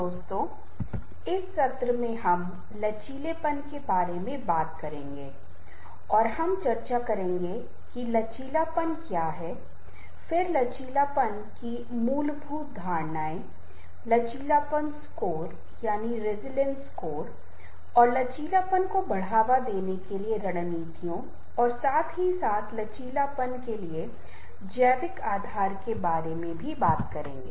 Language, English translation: Hindi, friends, in this session we will be talking about resilience and we will be discussing about what is resilience, then, foundational assumptions of resilience, resilience score and the strategies to promote resilience, as well as the basis, biological basis for resilience